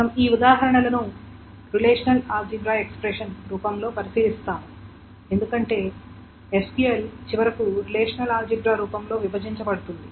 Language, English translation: Telugu, So what do we mean by that is that we will go over these examples in the form of a relational algebra because the SQL is finally broken down in the form of a relational algebra